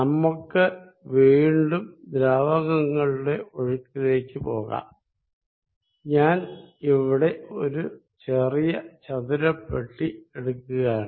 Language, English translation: Malayalam, Let us again go back to fluid flow, and I will make in this the rectangular small box